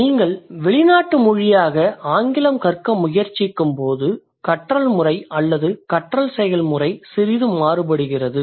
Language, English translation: Tamil, So when you are trying to learn English as a foreign language, you're like the method of learning or the process of learning is a little different